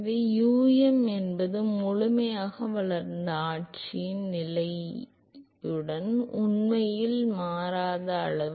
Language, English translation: Tamil, So, um is a quantity which actually does not change with position in the fully developed regime